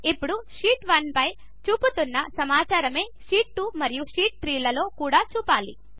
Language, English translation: Telugu, Now we want Sheet 2 as well as Sheet 3 to show the same data as in Sheet 1